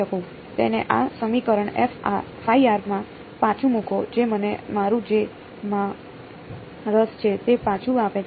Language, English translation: Gujarati, Put it back into this equation that gives me back my phi of r which is what I am interested in right